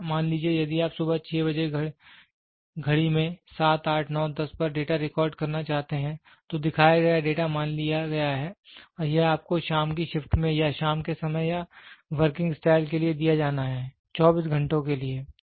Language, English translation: Hindi, So, the shown data suppose if you want to record the data at 6 o clock in the morning, 7, 8, 9, 10 and this has to be given to you at the evening shift or at the evening hours or with working style for 24 hours